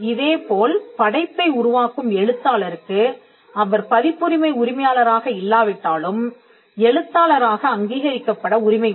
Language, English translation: Tamil, Similarly, and author who creates the work has a right to be recognised as the author even if he is not the copyright owner